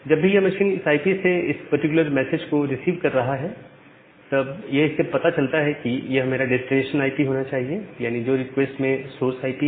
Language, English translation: Hindi, And then this machine whenever it is receiving this particular message from this IP, it can comes to know that well this should be my destination IP the source IP in the request